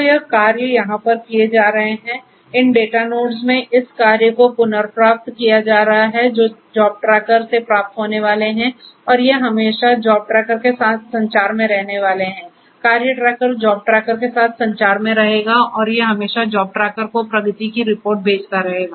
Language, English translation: Hindi, So, the tasks this tasks that are going to be executed over here in this data nodes are going to be retrieved are going to be received from the job tracker and these are going to always be in communication with the job tracker, the task tracker is going to be in communication with the job tracker and these are always going to also report the progress to the job tracker